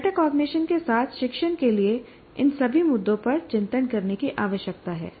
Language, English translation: Hindi, So one is the teaching with metacognition requires reflecting on all these issues